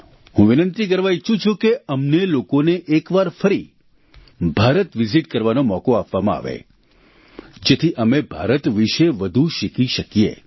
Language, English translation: Gujarati, I request that we be given the opportunity to visit India, once again so that we can learn more about India